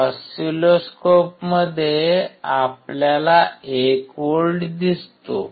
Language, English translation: Marathi, That is what we see 1 volt in the oscilloscope